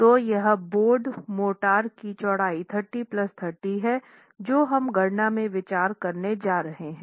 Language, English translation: Hindi, So, this is the width of the bedded motor, 30 plus 30 that we are going to be considering in the calculations